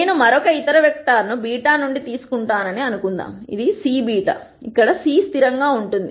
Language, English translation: Telugu, Let us assume I take some other vector from beta which is some C beta, where C is a constant